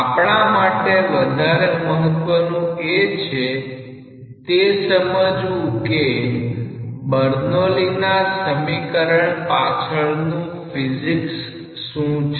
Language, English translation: Gujarati, What is even more important for us to appreciate that what is the physics behind the Bernoulli s equation